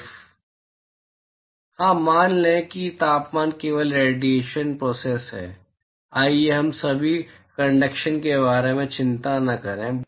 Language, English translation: Hindi, Yeah, let us assume that the temp there is only radiation process, let us not worry about conduction right now